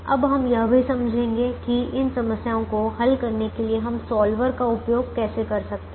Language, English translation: Hindi, now we will also explain how we can use solver to try and solve these problems